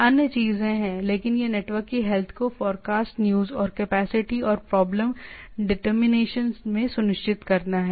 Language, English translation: Hindi, So, there are other things, but it to ensure the health of the network, forecast uses and capacity and in problem determinations